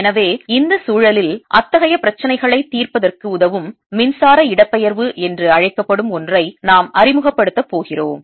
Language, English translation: Tamil, so in this context, we're going to do introduce something called the electric displacement that facilitates solving of such problems